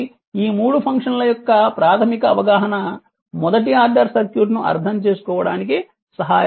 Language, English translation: Telugu, So, basic understanding of these 3 functions helps to make sense of the first order circuit right